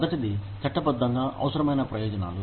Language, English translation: Telugu, The first one is, legally required benefits